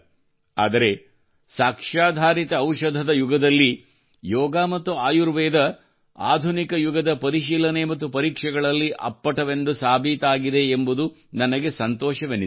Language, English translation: Kannada, But, I am happy that in the era of Evidencebased medicine, Yoga and Ayurveda are now standing up to the touchstone of tests of the modern era